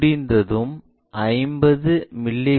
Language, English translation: Tamil, Once done, make 50 mm cut